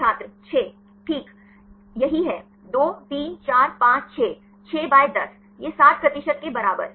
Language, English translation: Hindi, Right this is same, 2, 3, 4, 5, 6; 6 by 10 this equal to 60 percent